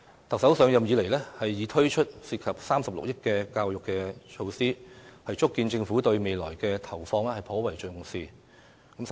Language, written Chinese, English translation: Cantonese, 特首上任以來，已推出涉及36億元的教育措施，足見政府對未來的投放頗為重視。, Since taking office the Chief Executive has already rolled out 3.6 billion worth of education measures . This shows that the Government attaches considerable importance to investing in the future